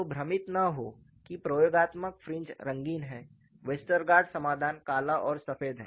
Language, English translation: Hindi, So, do not confuse that experimental fringes are colorful Westergaard solution is black and white